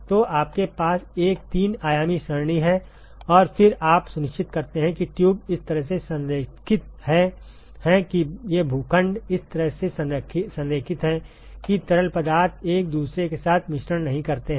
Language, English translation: Hindi, So, you have a three dimensional array and then you make sure that the tubes are aligned in such a way these plots are aligned in such a way that the fluids do not mix with each other ok